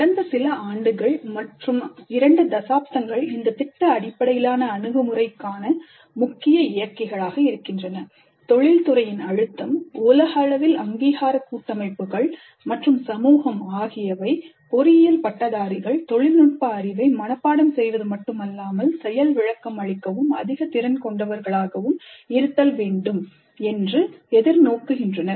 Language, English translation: Tamil, Now the key drivers for project based approach over the last few years, couple of decades, have been pressure from industry, accreditation bodies worldwide and society in general that engineering graduates must demonstrate at the end of the program not just memorized technical knowledge but higher competencies